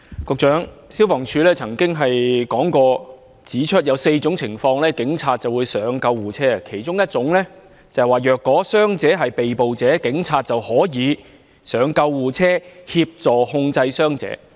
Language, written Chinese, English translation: Cantonese, 局長，消防處曾經指出，在4種情況下警察會登上救護車，其中一種情況是：若傷者是被捕者，警察便可以登上救護車協助控制傷者。, Secretary FSD has pointed out that police officers will board an ambulance under four circumstances one of which being that an injured person is under arrest in which case police officers can board the ambulance to assist in keeping that person under control